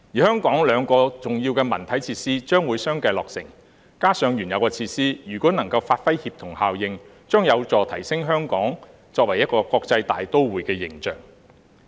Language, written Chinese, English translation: Cantonese, 香港兩項重要的文體設施將會相繼落成，加上原有的設施，如果能夠發揮協同效應，將有助提升香港作為一個國際大都會的形象。, The completion of two major cultural and sports facilities in Hong Kong together with the existing ones will help enhance Hong Kongs image as a cosmopolitan city if synergy can be created among them